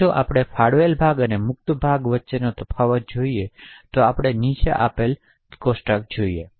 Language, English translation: Gujarati, Now if we look at the difference between the allocated chunk and the freed chunk we see the following